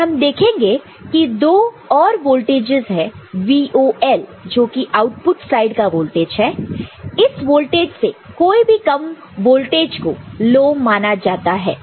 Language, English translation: Hindi, And, we will see there are two other voltages this is the VOL that is the voltage at the output side which is treated as low any voltage less than that will be treated as low